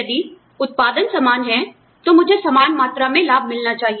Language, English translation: Hindi, If the output is the same, then, i should get the same amount of benefits